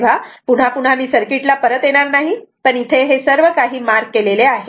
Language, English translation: Marathi, So, again and again I will not come to the circuit, but everything is marked